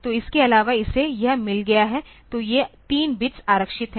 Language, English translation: Hindi, So, apart from that it has got this; so, this 3 bits are reserved